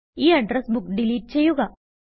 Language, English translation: Malayalam, The address book is deleted